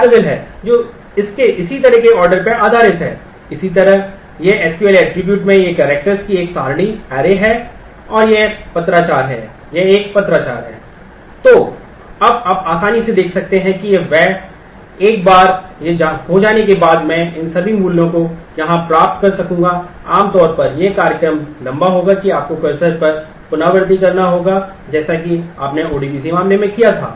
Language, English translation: Hindi, So, now, you can easily see that once this has been done I will be able to get all these values here, normally the program would be longer the you will have to iterate over the cursor as you did in case in the ODBC case